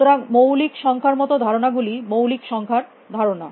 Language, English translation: Bengali, So, concepts like prime numbers, the concept of prime number